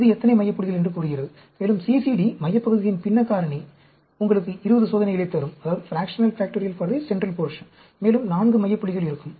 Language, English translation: Tamil, This tells you how many center points, and CCD, fractional factorial for the central portion will give you 20 experiments, and there will be 4 center points